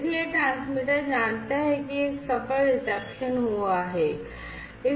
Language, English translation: Hindi, So, the transmitter knows that there has been a successful reception